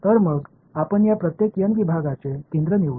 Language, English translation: Marathi, So, let us choose the centre of each of these n segments